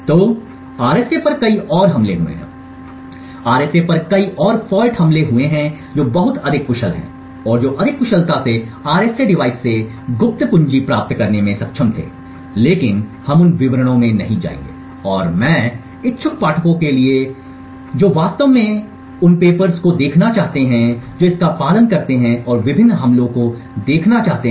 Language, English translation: Hindi, So there have been many further attacks on RSA so many further fault attacks on RSA which have been much more efficient and which were able to more efficiently get the secret key extracted from the RSA device but we will not go into those details and I would leave it to the interested readers to actually look at the papers that follow this and look at the various attacks